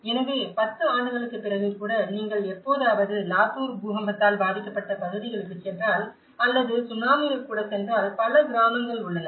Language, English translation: Tamil, So, even after 10 years if you ever go to Latur earthquake affected areas or even in Tsunami, there are many villages we can see these damaged villages lying like that